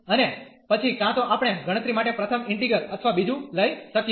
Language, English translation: Gujarati, And then either we can take the first integral or the second one to compute